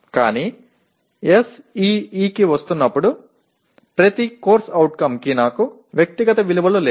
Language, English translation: Telugu, But coming to SEE, I do not have individual values for each CO